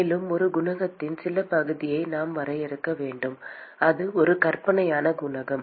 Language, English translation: Tamil, And we need to define some part of a coefficient that is a fictitious coefficient